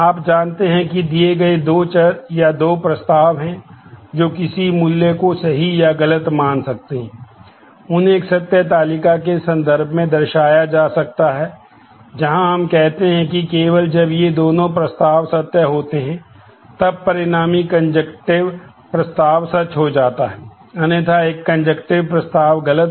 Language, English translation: Hindi, You know that given two variables, which have or two propositions which can take a value true or false the conjunction of them can be represented in terms of a truth table where we say that only when both these propositions are true, then the resultant conjunctive proposition becomes true; otherwise, a conjunctive proposition is false